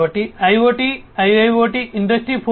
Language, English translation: Telugu, So, in the context of IoT, IIoT, Industry 4